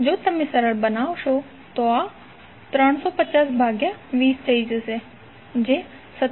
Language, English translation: Gujarati, If you simplify, this will become 350 divided by 20 is nothing but 17